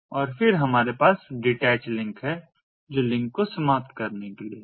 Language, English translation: Hindi, and then we have the detach, which is for terminating the link